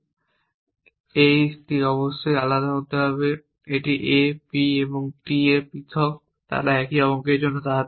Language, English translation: Bengali, And it must be distinct this a p and t are distinct they cannot stand for same digit